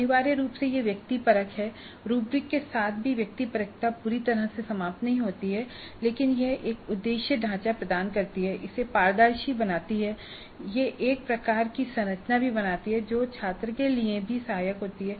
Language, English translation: Hindi, Now essentially it is subjective, even with rubrics, subjectivity is not altogether eliminated but it does give an objective framework and it makes it transparent and it also creates some kind of a structure which is helpful to the student also